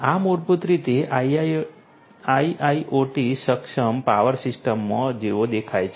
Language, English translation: Gujarati, This is what basically looks like in an IIoT enabled power system